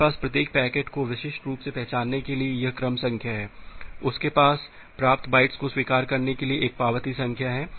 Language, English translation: Hindi, You have this sequence number to uniquely identify each packet you have an acknowledgement number to acknowledging the bytes that you have received